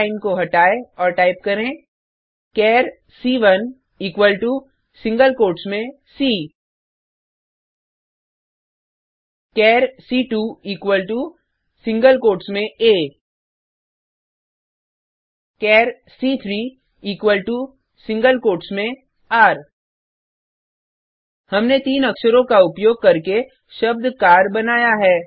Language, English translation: Hindi, Remove the char line and type , char c1 equal to in single quotes c char c2 equal to in single quotes a char c3 equal to in single quotes r We have created three characters to make the word car